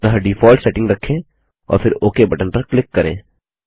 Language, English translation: Hindi, So we keep the default settings and then click on the OK button